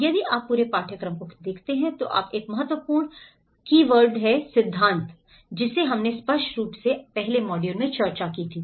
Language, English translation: Hindi, And if you look at the whole course one of the important keywords which you come up the theory, which we obviously discussed in the first modules